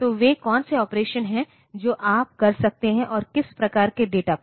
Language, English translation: Hindi, So, what are the operations that you can do and on what type of data